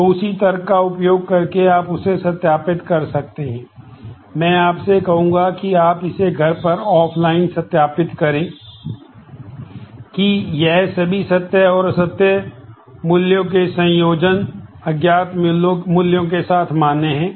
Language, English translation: Hindi, So, using that same logic you could see verify, I would ask you to verify offline at home you please verify, that all these combinations of true false with unknown are valid